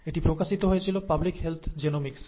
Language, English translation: Bengali, It was published in ‘Public Health Genomics’